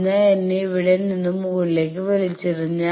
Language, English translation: Malayalam, So, I will be pulled from here to top